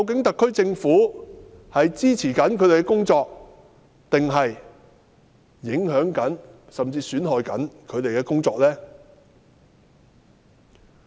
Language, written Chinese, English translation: Cantonese, 特區政府是支持他們的工作，還是影響甚至損害他們的工作呢？, Has the SAR Government been supporting or affecting and even undermining their work?